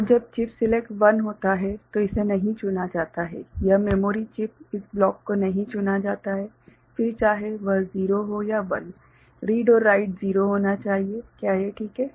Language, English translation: Hindi, And when chip select is 1 right so, it is not selected right, this memory chip this block is not selected then whether it is 0 or 1, read and write should be 0, is it fine